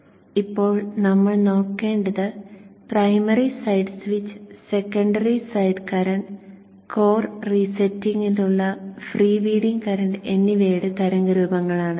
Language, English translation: Malayalam, What we should now look at is the waveforms of the primary side switch, the secondary side currents and the freewheeling currents for core resetting